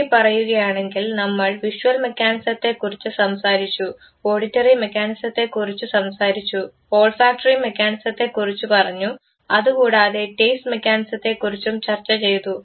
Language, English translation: Malayalam, Now, if you combine all the video that you seen, you saw the video for the visual mechanism, you saw the video for auditory mechanism, you saw the video for the olfactory mechanism and finally, the taste mechanism